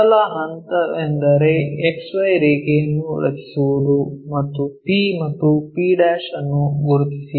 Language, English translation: Kannada, First step is draw XY line and mark point P and p'